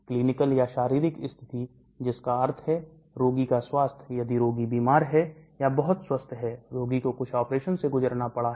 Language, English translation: Hindi, Clinical or physiological condition that means health of the patient, if the patient is sick or very healthy, the patient has undergone some operation